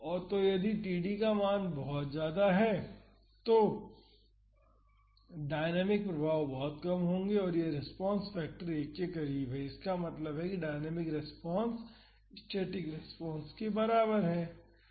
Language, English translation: Hindi, So, if the value of td is very large then the dynamic effects will be very low and this response factor is close to 1; that means, the dynamic response is close to the static response